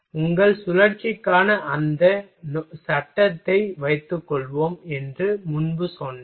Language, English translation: Tamil, Earlier I told you suppose that frame for your cycle